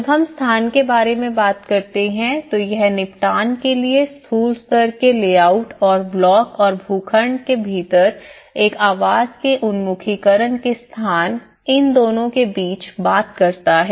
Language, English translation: Hindi, When we talk about location it talks both at a macro level layout as a settlement also the location of a dwelling is orientation within the block and the plot